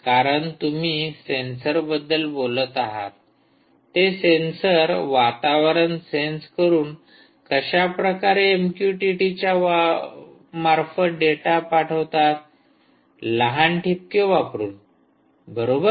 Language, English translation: Marathi, because you are talking about sensors which are sensing some environment and they want to push data using m q t t, small little dots